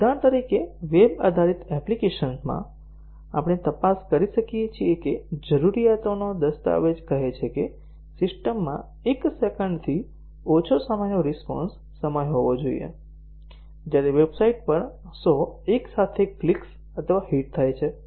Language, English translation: Gujarati, For example, in a web based application, we might check if the requirements document says that the system should have a response time of less than one second, when 100 simultaneous clicks or hits occur on the website